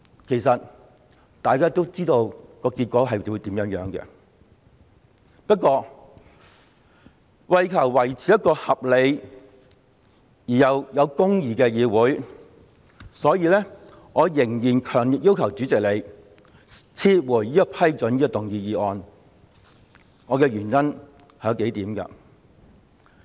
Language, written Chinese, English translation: Cantonese, 其實，大家都知道結果將會如何，不過，為求維持一個合理又有公義的議會，所以，我仍然強烈要求主席撤回批准局長動議這項議案的裁決，原因為以下數點。, Actually we all know what the result will be but in order to maintain a reasonable and just legislature I still strongly demand that the President withdraw his ruling on the Secretarys request to move this motion . There are several reasons